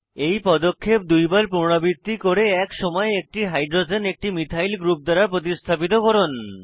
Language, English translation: Bengali, Repeat this step another 2 times and replace one hydrogen at a time with a methyl group